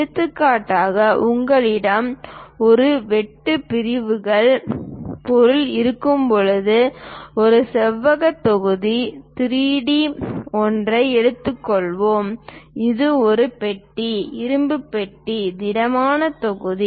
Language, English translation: Tamil, For example, when you are having a cut sections object for example, let us take a rectangular block 3D one; it can be a box, iron box, solid block